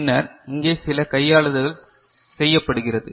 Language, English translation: Tamil, And then you are doing some manipulation over here